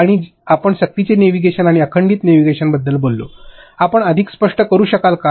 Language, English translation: Marathi, And you spoke about forced navigation and continuous navigation, could you explain more